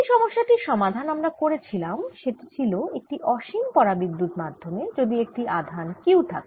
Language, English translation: Bengali, the last problem that we solved was if i have an infinite dielectric medium and a charge q in it